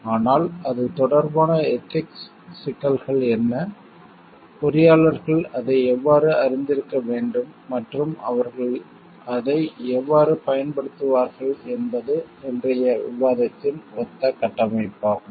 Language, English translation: Tamil, But what are the ethical issues relevant to it and how engineers should be aware of it and how they will use it is the like framework of today s discussion